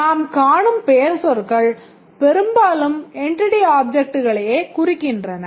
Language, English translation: Tamil, The nouns as you will see they mostly indicate the entity objects